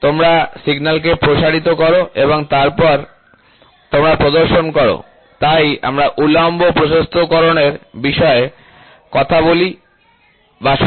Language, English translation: Bengali, So, you amplify the signal and then you display, so that is why we talk about vertical magnification which will always be reported in terms of microns